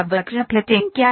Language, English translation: Hindi, What is curve fitting